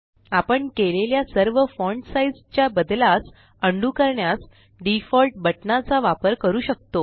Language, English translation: Marathi, We can also use the Default button to undo all the font size changes we made